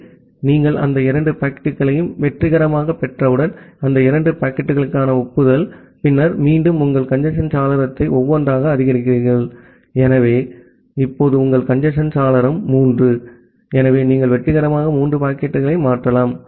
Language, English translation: Tamil, So, once you are successfully receiving that two packets, the acknowledgement for those two packets, then again you increase your congestion window by one, so now your congestion window is three, so you can successfully transfer three packets